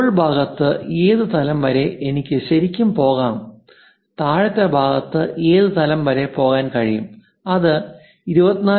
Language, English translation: Malayalam, On upper side up to which level I can really go on the lower side up to which level I can really go with that dimension, is it 24